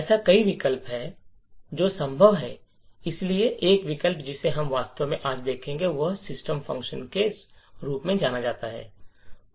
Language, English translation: Hindi, So, there are multiple options that are possible so one option that we will actually look at today is known as the system function